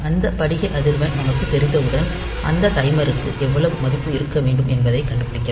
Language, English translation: Tamil, So, once we know that crystal frequency, so you can find out like how to how much value that timer should have